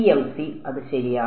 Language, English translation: Malayalam, PMC, right that is right